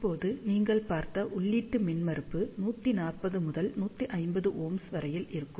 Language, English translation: Tamil, Now, input impedance as you can see that, it will be of the order of 140 to 150 ohm